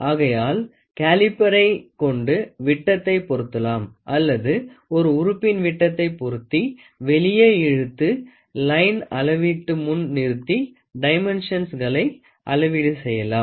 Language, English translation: Tamil, So, you try to have a caliper you try to set the diameter or you try to measure a component set the diameter pull it out and then keep it in front keep it in front of a line measurement and try to take the dimensions